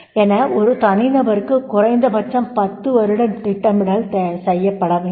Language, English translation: Tamil, At least 10 years planning for an individual is to be done